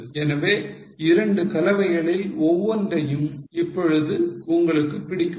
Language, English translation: Tamil, So, which of the two mix do you like now